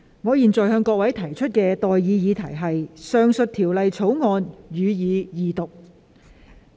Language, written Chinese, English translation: Cantonese, 我現在向各位提出的待議議題是：《2021年稅務條例草案》，予以二讀。, I now propose the question to you and that is That the Inland Revenue Amendment Bill 2021 be read the second time